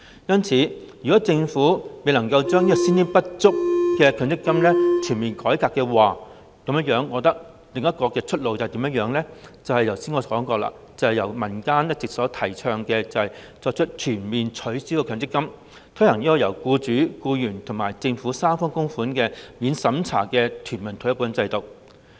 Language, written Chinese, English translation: Cantonese, 因此，若政府未能夠全面改革先天不足的強積金制度，我覺得另一條出路就是我剛才所說，正如民間一直提倡，全面取消強積金，改為推行由僱主、僱員及政府三方供款的免審查全民退休保障制度。, Hence if the Government fails to conduct a comprehensive reform on the inherently defective MPF System I hold that we should find another way out . This is what I have mentioned just now and the option has been all along advocated by the community―a complete abolition of the MPF System which can be replaced by a non - means - tested universal retirement protection system requiring tripartite contributions from the Government employers and employees